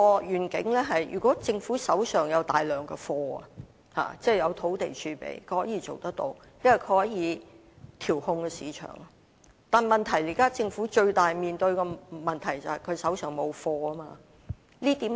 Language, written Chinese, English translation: Cantonese, 如果政府手上有大量"貨源"，即有土地儲備，是可以達致這個願景，因為政府可以調控市場，但現在政府面對最大的問題是手上沒有"貨源"。, This vision would be realizable if the Government has an abundant source of supply that is an abundant land reserve with which the Government could then control the market . But the biggest problem faced by the Government now is the shortage of supply